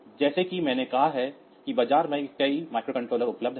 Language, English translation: Hindi, I have said that there are several micro controllers available in the market